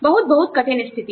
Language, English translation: Hindi, Very, very, difficult situation